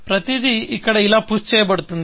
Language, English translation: Telugu, So, everything is pushed here, like this